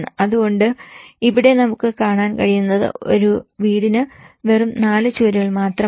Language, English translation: Malayalam, So here, what we are able to see is that it is not just the four walls which a house is all about